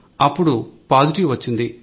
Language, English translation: Telugu, It turned out positive